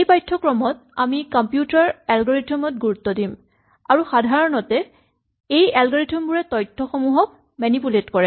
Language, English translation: Assamese, Our focus in this course is going to be on computer algorithms and typically, these algorithms manipulate information